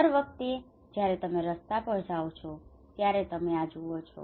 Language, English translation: Gujarati, Every time you go on road you can see this one